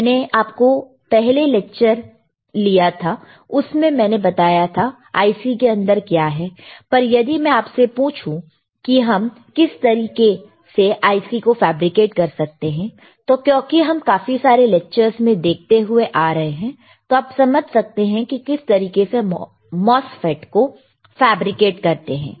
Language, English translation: Hindi, I took your first lecture and I told you what is within the IC, but, but you if you if I ask you, how you can fabricate the IC, I am sure now because of the because of the lectures that you have been looking at, you are able to understand how MOSFET is fabricated